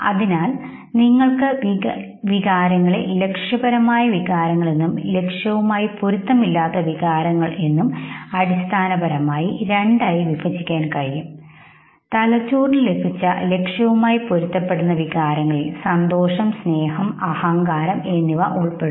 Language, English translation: Malayalam, So you can now clearly divide emotions in terms of goal congruent emotions and goal incongruent emotions, the goal congruent emotions will involve happiness, love and pride